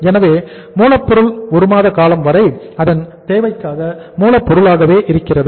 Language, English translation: Tamil, So it means raw material remains as raw material for the equal to the 1 month’s requirement